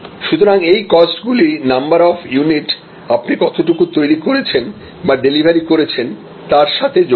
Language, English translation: Bengali, So, these costs are linked to the number of units delivered or number of units produced